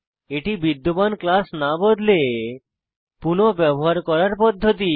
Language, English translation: Bengali, It is the process of reusing the existing class without modifying them